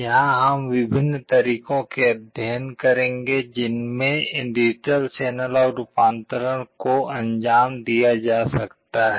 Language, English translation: Hindi, Here we shall study the different ways in which digital to analog conversion can be carried out